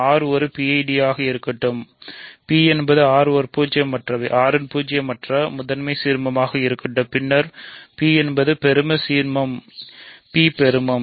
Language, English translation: Tamil, Let R be a PID, let capital P be a non zero prime ideal of R then P is in fact, a maximal ideal; P is maximal